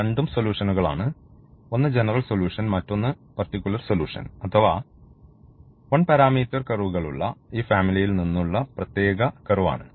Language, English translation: Malayalam, So, both have the solutions, but one is the general solution the other one is the particular solution or particular a curve out of this family of one parameter curves